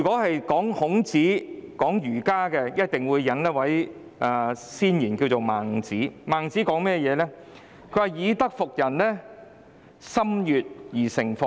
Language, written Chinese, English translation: Cantonese, 談到孔子、儒家，必須引用先賢孟子的說話："以德服人者，中心悅而誠服也。, When it comes to Confucius and Confucianism we must quote the words of the sage Mencius When one subdues men by virtue in their hearts core they are pleased